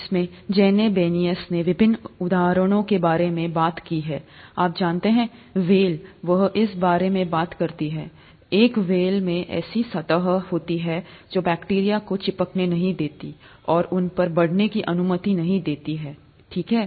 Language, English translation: Hindi, In this Janine Benyus talks about various examples, you know, the whale, she talks about this, one of the whales has a surface which does not allow bacteria to stick and grow on them, okay